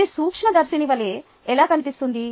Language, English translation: Telugu, how does it look like microscopically